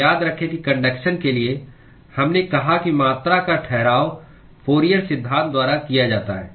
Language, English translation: Hindi, So remember that for conduction, we said the quantification is done by Fourier law